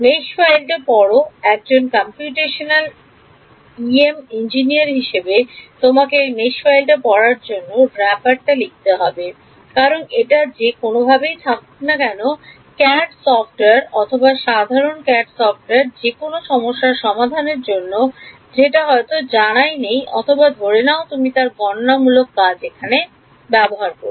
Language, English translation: Bengali, Read in the mesh file; as a computational EM engineering you have to write this wrapper to read this mesh file because, it will be in whatever format CAD software did CAD software is general CAD software for any problem they may not even know or care that you are using its computational here